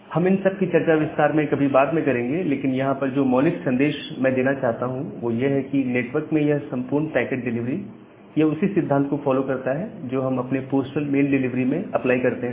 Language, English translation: Hindi, So, we will go to all these details sometime later, but the basic message that I want to give to you is that, this entire packet delivery in the network it follows the similar principle of what we apply in case of our postal email delivery